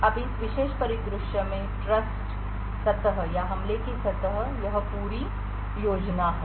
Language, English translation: Hindi, Now the trust surface or the attack surface in this particular scenario is this entire scheme